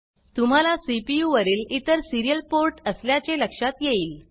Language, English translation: Marathi, You may notice that there are other serial ports on the CPU